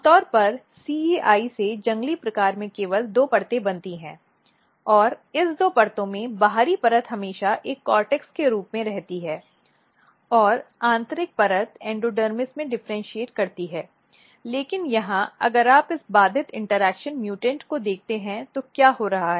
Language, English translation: Hindi, So, normally in wild type from CEI only two layers are formed and in this two layers the outer layers always remains as a cortex and inner layer differentiate into endodermis, but here if you look in this disrupted interaction mutants what is happening